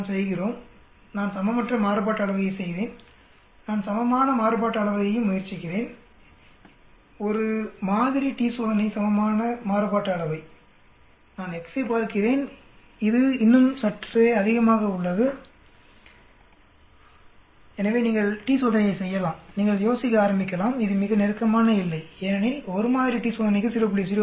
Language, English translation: Tamil, Let us do, I did unequal variance let me try equal variance also, one sample t test equal variance also let me see x, it is still slightly greater than, so you do t test you may start wondering may be it is very close border because 0